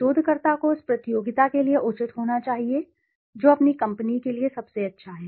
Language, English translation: Hindi, Researcher must balance what is fair to a competitor with what is best for one s own company